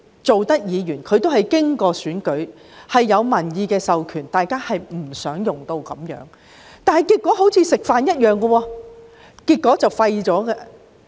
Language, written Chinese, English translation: Cantonese, 各位議員皆經歷選舉，有民意授權，大家不想用上這方法，但結果卻彷如吃飯般，沒有後果。, All Members were returned from election and commanded a popular mandate . We did not want to do this but the result of the inquiry is like eating in the sense that KAM was not subjected to any consequences